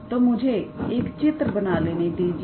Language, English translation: Hindi, So, let me draw a figure